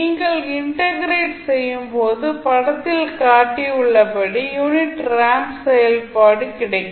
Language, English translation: Tamil, When you integrate you will get a unit ramp function as shown in the figure